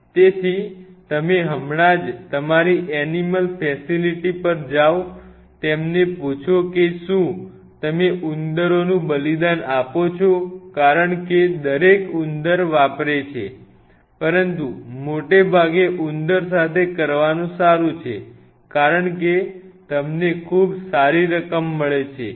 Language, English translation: Gujarati, So, you just go to your animal facility now ask them do are you sacrificing rats because everybody uses rats or mice or something, but mostly it is good to do with the rat because you get quite a good amount